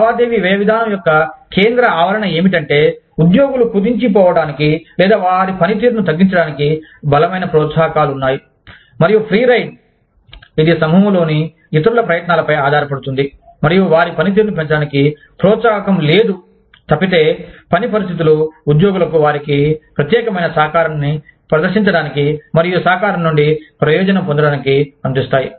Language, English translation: Telugu, The central premise, of the transaction cost approach is, that the employees have strong incentives to shirk, or reduce their performance, and freeride, which is rely on the efforts of others in the group, and no incentive, to increase their performance, unless task conditions allow employees to demonstrate their unique contributions, and to benefit, from these contributions